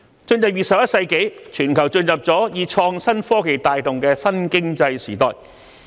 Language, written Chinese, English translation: Cantonese, 在進入21世紀後，全球已經進入以創新科技帶動的新經濟時代。, Having entered the 21 century the global community is in a new economic era driven by innovation and technology IT